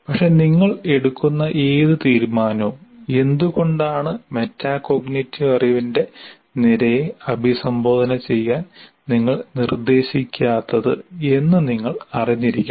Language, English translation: Malayalam, But any decision that you make, it should be conscious and why we are not addressing the, let's say the column of metacognity